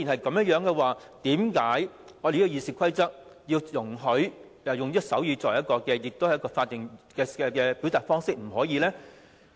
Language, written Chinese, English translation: Cantonese, 既然如此，為何《議事規則》不容許議員使用手語這種法定表達方式發言呢？, In that case under the Rules of Procedure why are Members not allowed to express their views by means of sign language a statutory way of expression?